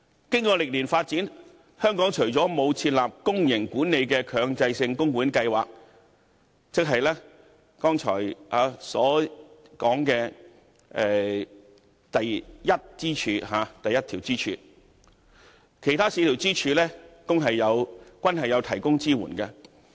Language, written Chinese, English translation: Cantonese, 經過歷年發展，香港除了沒有設立公營管理的強制性供款計劃，即剛才所說的第一根支柱外，其他四根支柱均已有提供支援。, After years of development with the exception of a publicly - managed mandatory pension plan which is the first pillar all the other pillars are providing support in Hong Kong